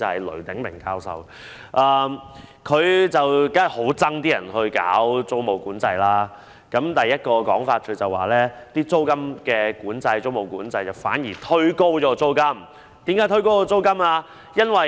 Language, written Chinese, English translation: Cantonese, 雷鼎鳴教授當然對實施租務管制的建議很反感，他提出的第一點原因是租務管制反而會推高租金。, Prof Francis LUI certainly has a strong distaste for the proposed implementation of tenancy control . The first reason given by him is that the implementation of tenancy control will push up the rental level instead